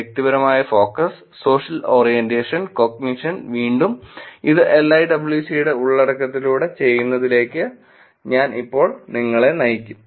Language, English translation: Malayalam, Interpersonal focus, social orientation and cognition, again this is analyzed through LIWC content we shall walk you through now